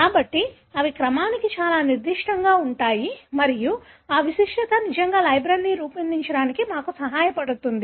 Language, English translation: Telugu, So, they are so specific to the sequence and that specificity really helps us to make the libraries